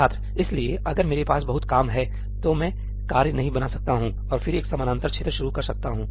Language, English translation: Hindi, So, if I have lot of work, I canít create tasks and then start a parallel region